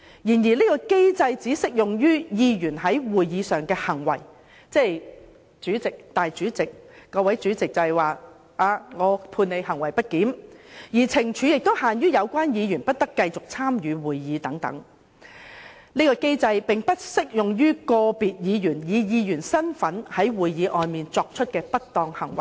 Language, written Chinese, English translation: Cantonese, 然而，這個機制只適用於議員在會議上的行為，即由主席裁決某位議員在會議上行為不檢，而懲罰亦只限於有關議員不得繼續參與會議，但並不適用於個別議員以議員身份在會議外作出的不當行為。, However this mechanism is only applicable to Members behaviour at a meeting ruled as grossly disorderly by the President and the penalty is limited to the Members withdrawal from that meeting . It is not applicable to a Members misconduct outside the meeting in his capacity as a Member